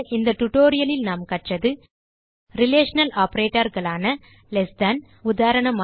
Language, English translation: Tamil, In this tutorial, we learnt Relational operators like Less than: eg